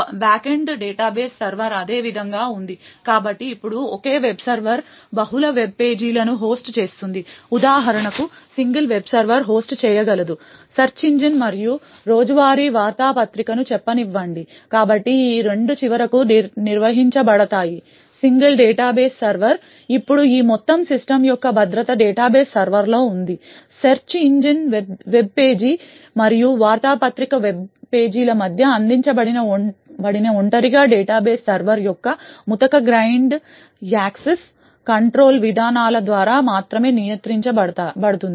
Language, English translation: Telugu, The back end database server however remains the same so now a single web server may host multiple web pages for example the single web server could host let us say a search engine as well as a daily newspaper, so both of these are finally managed by the single database server, now the security for this entire system rests on the database server, the isolation provided between the search engine webpage and the newspaper web page is only controlled by the coarse grained access control policies of the data base server